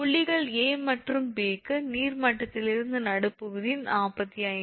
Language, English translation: Tamil, For points A and P the midpoint from the water level is 45